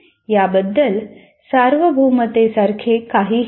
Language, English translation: Marathi, So there is nothing like universality about it